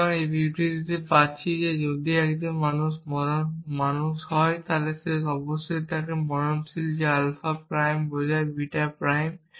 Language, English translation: Bengali, So, I am getting this statement that if is a man then is mortal that is alpha prime implies beta prime